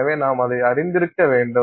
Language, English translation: Tamil, So, you have to be conscious of it